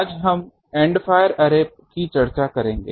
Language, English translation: Hindi, Today, we will discuss the End fire Array